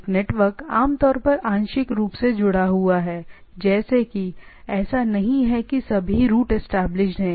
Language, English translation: Hindi, A network is usually partially connected, like it is not that all are all routes are established